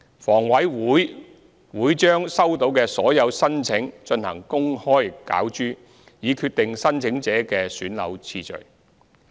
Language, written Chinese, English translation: Cantonese, 房委會會把收到的所有申請進行公開攪珠，以決定申請者的選樓次序。, Upon receipt of all applications HA will conduct an open ballot to determine the priority of flat selection for the applicants